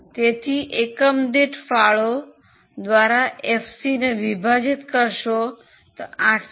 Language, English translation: Gujarati, So, FC upon contribution per unit gives me 804